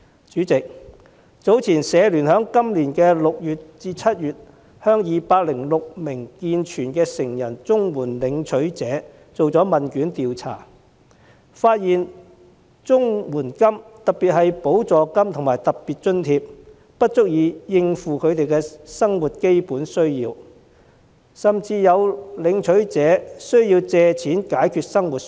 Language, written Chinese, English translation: Cantonese, 主席，香港社會服務聯會在去年6月至7月向206名健全成人綜援申領人進行問卷調查，發現綜援金——特別是補助金及特別津貼——不足以應付基本的生活需要，甚至有申領人需要借貸來解決生活所需。, President the results of a questionnaire survey conducted by the Hong Kong Council of Social Services among 206 able - bodied adult CSSA recipients between June and July last year showed that the CSSA payments―especially supplements and special grants―fell short of meeting basic needs in daily living and some recipients even resorted to making borrowings in order to cope with their daily needs